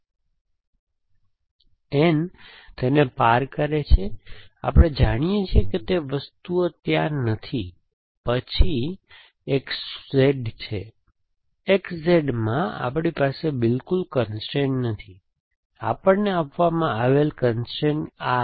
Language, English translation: Gujarati, So, the N cross it, so we know that those things are not there essentially, then next called X Z, X Z we do not have a constraint at all, the constraint given to us is this